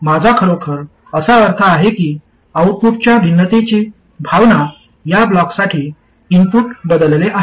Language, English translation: Marathi, What I really mean is the sense of variation of output as the input is varied for this block